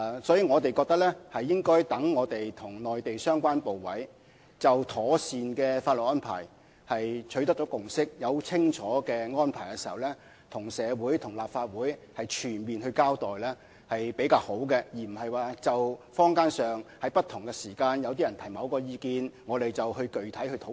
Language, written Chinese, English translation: Cantonese, 所以，我們覺得在我們與內地相關部委就妥善的法律安排取得共識和訂定清楚的安排時，才向社會和立法會作全面交代是比較好的做法，而不是就坊間不同時間、不同人士提出的某些意見作具體討論。, Therefore we think it is better to give a full account to society and the Legislative Council when we have forged a consensus with the relevant Mainland authorities on the proper legal arrangement and set out the arrangements clearly rather than holding discussions specifically on certain views put forward in the community at different times